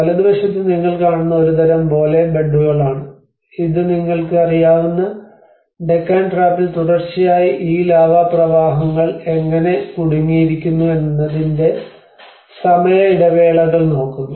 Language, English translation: Malayalam, On the right hand side what you see is a kind of Bole beds which is actually look at the time intervals of how these successive lava flows have been trapped in the Deccan Trap you know